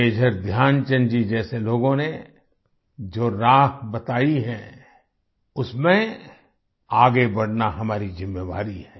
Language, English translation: Hindi, On the course charted by people such as Major Dhyanchand ji we have to move forward…it's our responsibility